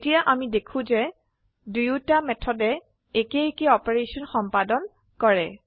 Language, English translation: Assamese, Now we see that both the method performs same operation